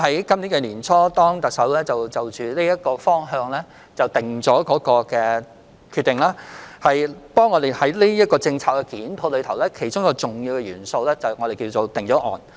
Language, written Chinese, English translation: Cantonese, 今年年初，特首就這個方向作出決定，我們在檢討有關政策時，其中一個重要元素是所謂的"定案"。, At the beginning of this year the Chief Executive made a decision on this and one of the important factors being considered in the review of the related polices is the so - called finalized proposal